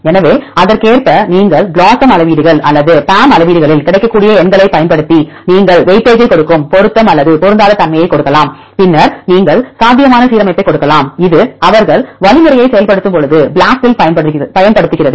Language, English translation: Tamil, So, accordingly you can use the numbers available in the BLOSUM metrics or the PAM metrics to give the weightage either the match or mismatch you give the weightage then you can give the probable alignment right this is what they use in the BLAST when they implement algorithm